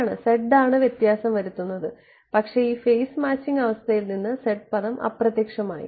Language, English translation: Malayalam, Right so, z is the guy who is making the difference, but z term vanished from this phase matching condition